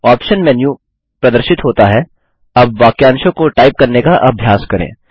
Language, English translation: Hindi, The Options menu appears.Now lets practice typing phrases